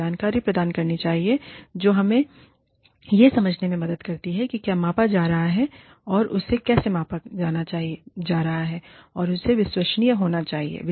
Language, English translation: Hindi, It should provide information, that helps us understand, what is being measured, and how it is being measured, and it should be credible